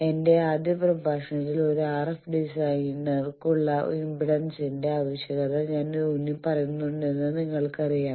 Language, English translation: Malayalam, You know I have already in my first lecture emphasized the need of impedance for an RF designer